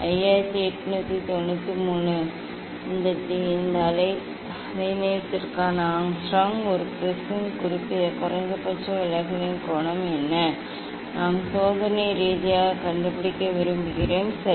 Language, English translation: Tamil, 5893 Angstrom for this wavelength, what is the angle of minimum deviation of a prism, that we would like to find out experimentally, ok